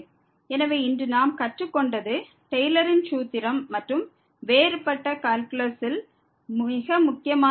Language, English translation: Tamil, So, what we have learnt today is the Taylor’s formula and very important topic in the differential calculus